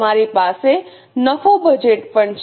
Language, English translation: Gujarati, You also have profit budgets